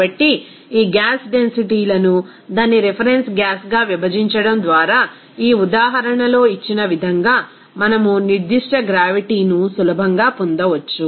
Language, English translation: Telugu, So, dividing these densities of gas to its reference gas, then we can easily get that specific gravity, here as given in this example